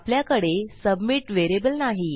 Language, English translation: Marathi, I dont have a submit variable at the moment